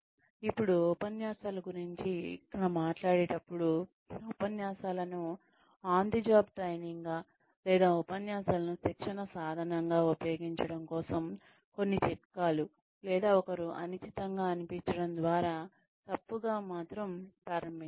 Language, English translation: Telugu, When, we talk about lectures some tips here, for using lectures, as on the job training, or lectures as a tool of training, or one is do not start out on the wrong foot by sounding unsure